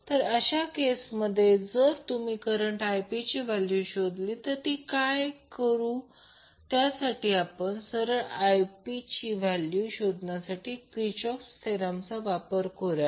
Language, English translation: Marathi, So in that case, if calculate the value of the current Ip, what you can do, you can simply use Kirchhoff Voltage Law in the loop and find out the value of current Ip